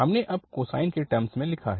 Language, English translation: Hindi, We have written now in terms of the cosine